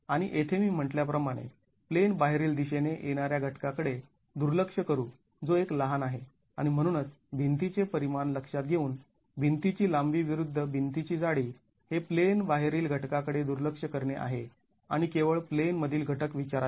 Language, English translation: Marathi, And here as I said we will neglect the component coming in the out of plane direction which is one small and therefore considering the wall dimensions, length of the wall versus the thickness of the wall, it is okay to neglect the out of plane components and take into account only the in plain components